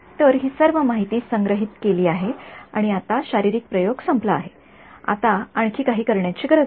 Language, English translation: Marathi, So, all of this information is stored and now the physical experiment is over, there is nothing more I have to do